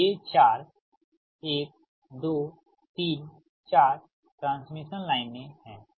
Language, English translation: Hindi, so this is one, two, three